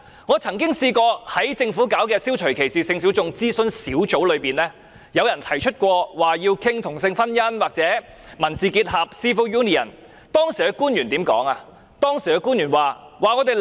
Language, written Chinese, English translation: Cantonese, 我曾經參加政府設立的消除歧視性小眾諮詢小組，當提出要討論同性婚姻或民事結合時，官員怎樣回答？, I once joined the Governments Advisory Group on Eliminating Discrimination against Sexual Minorities when members proposed to discuss same - sex marriage or civil union how did government official respond?